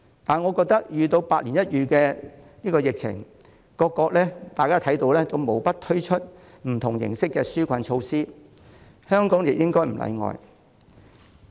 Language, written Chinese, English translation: Cantonese, 然而，面對百年一遇的疫情，大家也看到各國無不推出不同形式的紓困措施，我認為香港亦不應例外。, Nevertheless we can see that facing a once - in - a - century epidemic countries around the world have all introduced various forms of relief measures and I do not think Hong Kong should be an exception